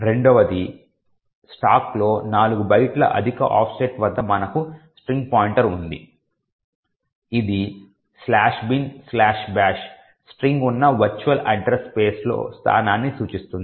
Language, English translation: Telugu, Secondly at an offset of 4 bytes higher in the stack we have a character pointer which points to some location in the virtual address space where the string slash bin slash bash is present